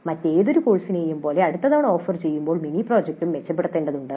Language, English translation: Malayalam, Like any other course a mini project also needs to be improved next time it is offered